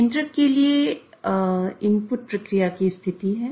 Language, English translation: Hindi, So, the inputs to the controller are the status of the process